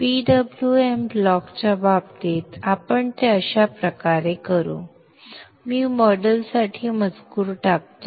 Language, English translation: Marathi, For the case of the PWM block we shall do it this way